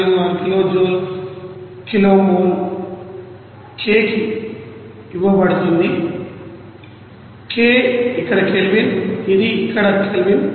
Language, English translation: Telugu, 46 kilo joule per kilo mole k, k is the Kelvin here, it is here Kelvin